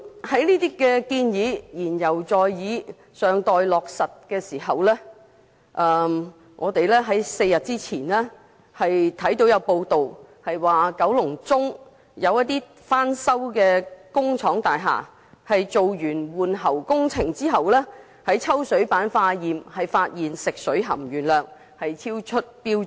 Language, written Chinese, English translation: Cantonese, 在上述建議言猶在耳、尚待落實之際 ，4 天前有報道指出，九龍中有翻修工廠大廈在完成換喉工程並抽取水樣本化驗時，發現食水含鉛量超出標準。, But then four days ago there was a news report about the presence of excess lead in the drinking water samples of a factory building in Kowloon Central that had undergone water pipe replacement in its renovation